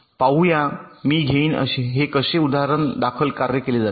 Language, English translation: Marathi, let see i will take an example how these are worked out